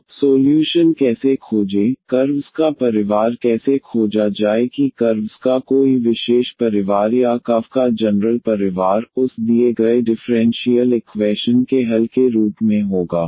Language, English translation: Hindi, So, how to the find the solution; how to find the family of curves whether a particular family of curves or the general family of curves, of that will be as a solution of the given differential equation